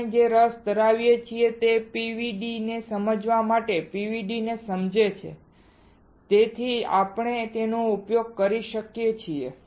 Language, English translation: Gujarati, What we are interested is to understand the PVD understand the PVD such that we can use it